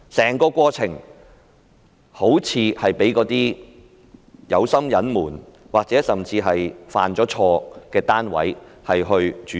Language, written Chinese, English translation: Cantonese, 整個過程好像被有心隱瞞或甚至被犯錯的單位所主導。, The entire process seems to be led by parties intent on covering things up or even by the wrongdoers